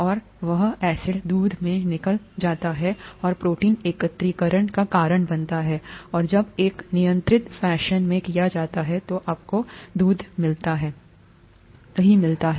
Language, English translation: Hindi, And that acid gets out into milk and causes protein aggregation and that when done in a controlled fashion gives you milk